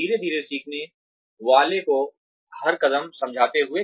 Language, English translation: Hindi, Slowly explaining each step to the learner